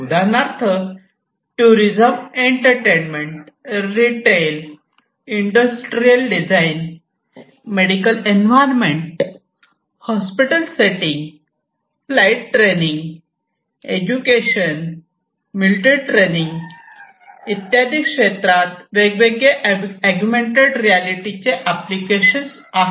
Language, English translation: Marathi, So, different applications of augmented reality in tourism, entertainment, retail, industrial design, medical environments, hospital settings, for instance, flight training, educational, military training and so, on augmented reality; reality has different applications